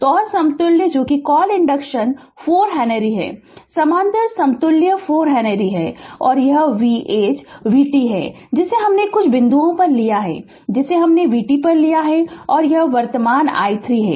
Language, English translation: Hindi, So, and equivalent equivalent your what you call inductance is 4 henry, the parallel equivalent is 4 henry and this is the voltage v t we have taken some point we have taken v t and this is the current I 3